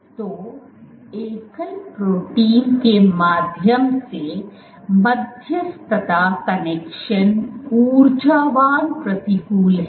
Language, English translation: Hindi, So, connection mediated via single protein is energetically unfavorable